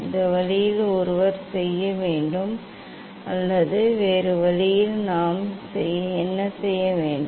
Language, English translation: Tamil, this way one can do or what we can do other way